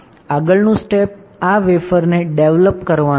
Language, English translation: Gujarati, Next step would be to develop this wafer